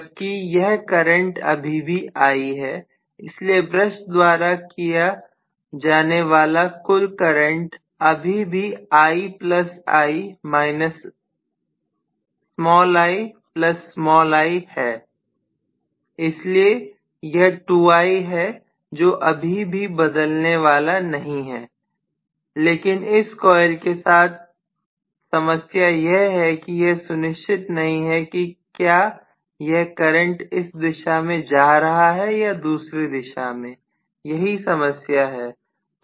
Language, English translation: Hindi, Whereas this current is still I so the total current that is carried by the brush is still I plus I minus I plus small I so it is 2I still that is not going to change but the problem with this coil is it is not very sure whether it is carrying the current in one direction or the other, that is the problem